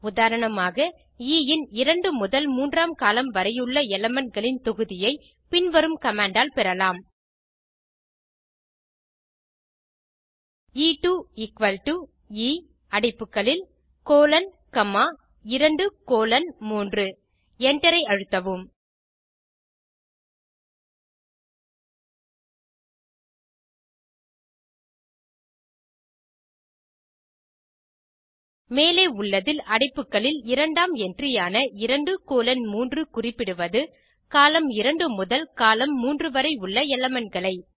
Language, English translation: Tamil, For example, the set of elements starting from second to third columns of E can be obtained using the following command: E2 = E of colon comma 2 colon 3 close the bracket and press enter In the above, the second entry in the bracket, that is, 2 colon 3 makes a reference to elements from column 2 to column 3